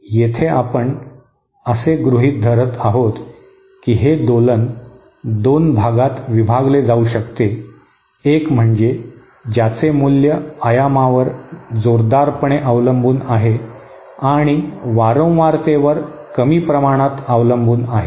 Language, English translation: Marathi, Here we are assuming that this oscillator can be divided into two parts; one which is strongly dependent, whose value is strongly dependent on amplitude and to a lesser extent on frequency